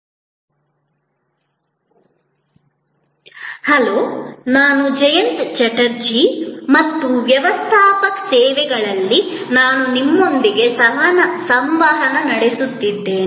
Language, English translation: Kannada, Hello, I am Jayanta Chatterjee and I am interacting with you on Managing Services